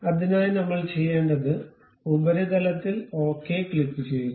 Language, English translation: Malayalam, For that purpose what we have to do, click ok the surface